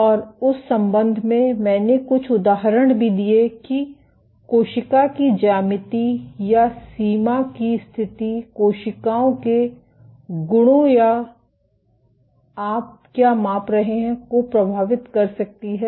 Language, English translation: Hindi, And in that regard, I also gave a few instances of how geometry of the cell or boundary conditions might influence the properties of cells or what you are measuring